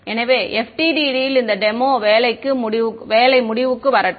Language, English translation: Tamil, So, let brings to an end this demo work on FDTD